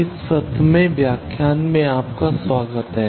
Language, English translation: Hindi, Welcome to this 17th lecture